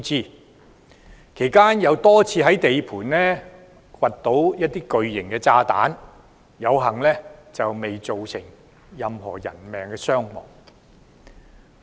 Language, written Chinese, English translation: Cantonese, 工程期間又多次在地盤掘出巨型炸彈，幸好未有造成任何人命傷亡。, A few large bombs were also discovered during the construction but luckily no injuries or deaths were caused